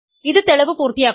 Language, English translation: Malayalam, So, this completes the proof